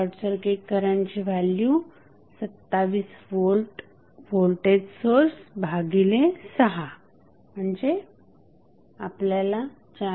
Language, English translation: Marathi, Here the short circuit current value would be that is the voltage source 27 divided by 6 so what you got is 4